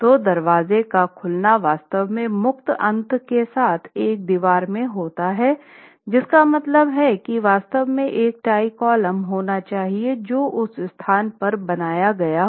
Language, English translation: Hindi, So, a door opening is actually a wall with a free end which means the door opening, the jam of the door should actually have a tie column built in at that location